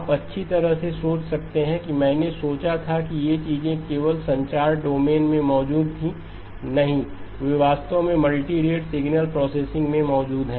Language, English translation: Hindi, You may think well I thought that these things existed only in the communications domain, no they actually exist in the multirate signal processing as well